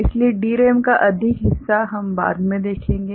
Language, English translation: Hindi, So, more of DRAM we shall see later